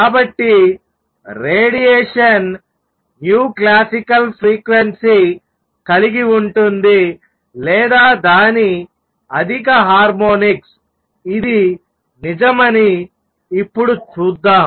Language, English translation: Telugu, So, the radiation will have frequency nu classical or its higher harmonics; let us now see that this is true